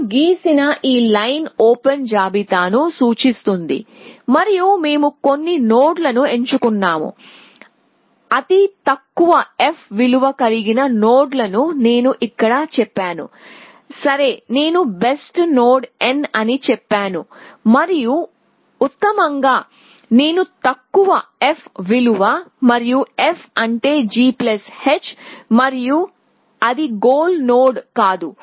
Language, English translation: Telugu, So, this line that I have drawn represents open list and we picked some nod, nodes with the lowest f value have I said that here, ok I have said best node n and by best I mean the lowest f value and f is g plus h and we it was not the goal nod